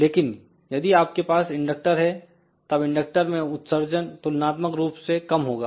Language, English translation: Hindi, But if we have a inductor, then the dissipation in the inductor will be relatively small